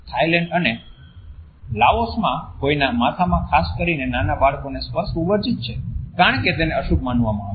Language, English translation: Gujarati, In Thailand and Laos it is a taboo to touch somebody on head particularly the young children because it is considered to be inauspicious